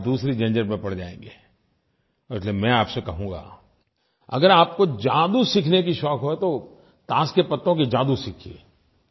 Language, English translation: Hindi, At that time you will be tangled into other things and therefore I tell you if you have a passion to learn magic then learn the card tricks